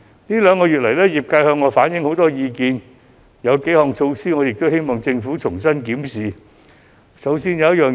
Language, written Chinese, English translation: Cantonese, 業界這兩個月向我反映了很多意見，我希望政府可以重新檢視某幾項措施。, I implore the Government to consider my suggestions . The trade has reflected many of their views to me over the past two months and I hope the Government will review some of its measures